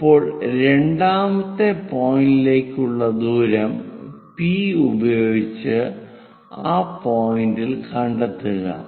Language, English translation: Malayalam, Now, use distance P all the way to second point whatever the distance locate it on that point